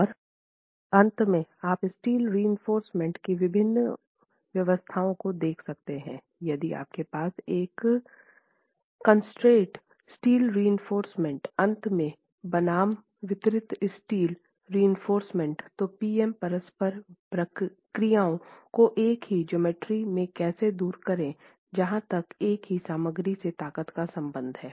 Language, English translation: Hindi, If you have the concentrated steel reinforcement at the ends versus the distributed steel reinforcement, how do the PM interactions pan out as far as the same geometry and the same material strengths are concerned